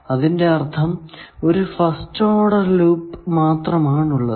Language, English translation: Malayalam, The first thing is called first order loop